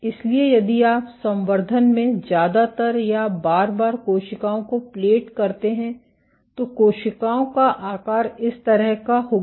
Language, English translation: Hindi, So, if you plate cells in culture most of the times the cells will have shapes like this